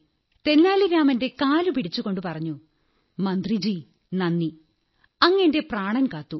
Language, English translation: Malayalam, Falling at feet of Tenali Rama, he said, "thank you minister you saved my life